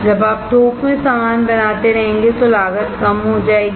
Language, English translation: Hindi, When you keep on making the things in bulk the cost will go down